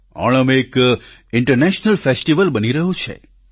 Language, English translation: Gujarati, Onam is increasingly turning out to be an international festival